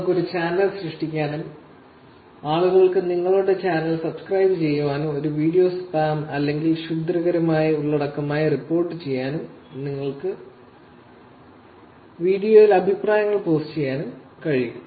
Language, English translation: Malayalam, You can create a channel, people can subscribe to your channel, you can report a video as spam or malicious content, and you can actually post comments to the video